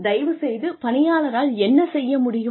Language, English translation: Tamil, What the employee would be able to do